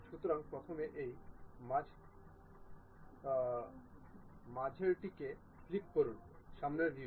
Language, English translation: Bengali, So, first click this middle one, front view